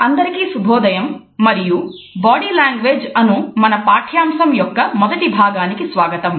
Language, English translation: Telugu, Good morning dear participants and welcome to the first module of our course on Body Language